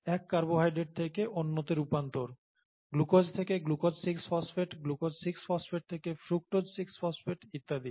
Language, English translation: Bengali, However, the conversion from one carbohydrate to another, glucose to glucose 6 phosphate, glucose 6 phosphate to fructose 6 phosphate and so on so forth